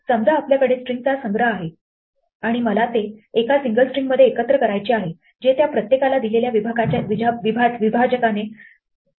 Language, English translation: Marathi, Supposing, we have a collection of strings and I want to combine it in to a single string separate each of them by a given separator